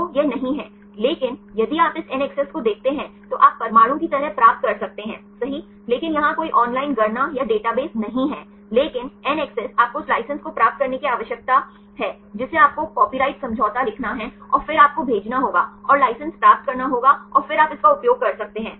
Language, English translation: Hindi, So, it is no, but if you look at this NACCESS you can get the atom wise one right, but here there is no online calculations or database, but NACCESS you need to get the license you have to write the copyright agreement and then you have to send, and get the license and then you can use it